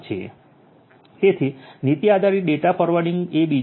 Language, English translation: Gujarati, So, policy based data forwarding is the second one